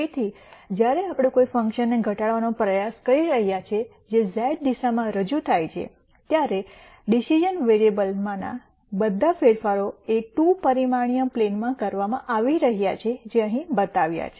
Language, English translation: Gujarati, So, while we are trying to minimize a function which is represented in the z direction, all the changes to the decision variables are being done in a 2 dimensional plane which is shown here